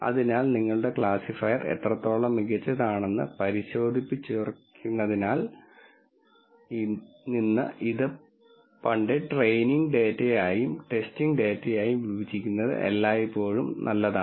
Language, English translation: Malayalam, So, from verifying how good your classifier is it is always a good idea to split this into training and testing data